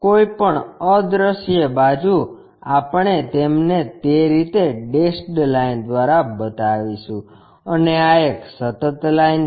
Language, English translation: Gujarati, Any invisible side we showed them by dashed lines in that way and this is a continuous line